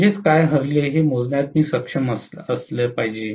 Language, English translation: Marathi, so I should be able to calculate what are the loses